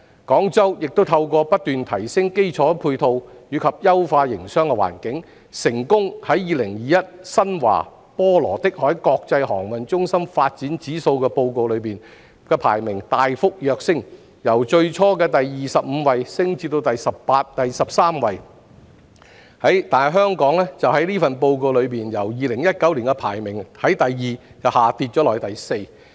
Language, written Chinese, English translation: Cantonese, 廣州亦已透過不斷提升基礎配套及優化營商環境，成功在2021《新華.波羅的海國際航運中心發展指數報告》中的排名大幅躍升，由最初的第二十五位升至第十三位，但香港在該份報告的排名已從2019年的第二位跌至第四位。, Guangzhou through continuous upgrading has also been able to enhance its infrastructure and business environment and its ranking in the 2021 Xinhua - Baltic Exchange International Shipping Centre Development Index Report has jumped from 25th to 13th while Hong Kongs ranking in the Report has dropped from second to fourth in 2019